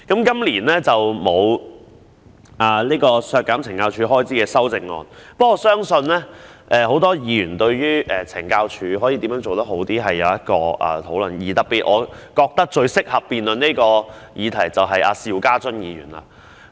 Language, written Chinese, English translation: Cantonese, 雖然今年沒有削減懲教署開支的修正案，但我相信很多議員對於懲教署可如何做得更好，也是有意見的，而我認為最適合辯論這項議題的人就是邵家臻議員。, Although there is no amendment seeking to reduce the expenditure of CSD this year I believe many Members have views on how CSD can do better . I think Mr SHIU Ka - chun is the most suitable man to debate this question